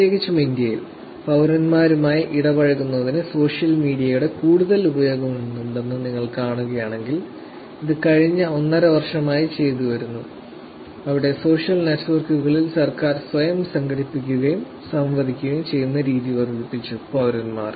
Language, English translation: Malayalam, Particularly in India, if you see there is lot more usage of social media for interacting with citizens and this is being done for the last at least a year or year and half, where it has become more, the social networks have proliferated the way that the government is organizing themselves and interacting with citizens